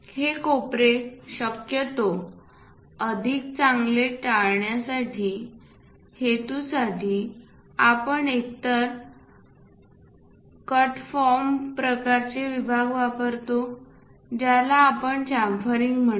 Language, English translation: Marathi, These corners preferably better to avoid them so, for their purpose, either we use cut kind of sections that is what we call chamfering